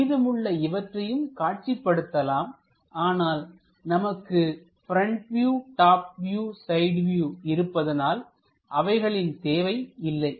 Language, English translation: Tamil, We can show these views also, but these are not required when we have this front view, top view and side view